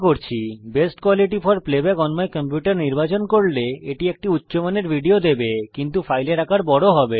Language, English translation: Bengali, Choosing Best quality for playback on my computer will give a high quality video but with a large file size